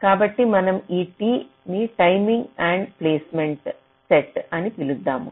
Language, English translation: Telugu, so we refer this t to be the set of timing endpoints